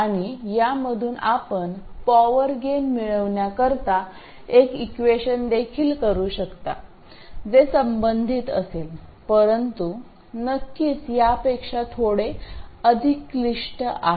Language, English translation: Marathi, And you can also from this make an expression for power gain which will be related but of course a little more complicated than this